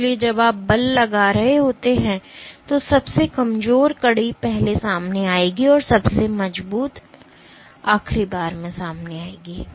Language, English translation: Hindi, So, when you are exerting force then the weakest link will unfold first and the strongest link will unfold last